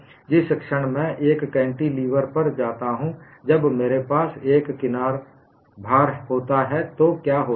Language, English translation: Hindi, The moment I go to a cantilever, when I have an edge load, what happens